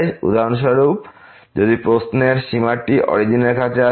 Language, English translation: Bengali, For example, if the limit in the question is approaching to the origin